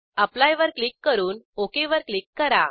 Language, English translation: Marathi, Click on Apply and then click on OK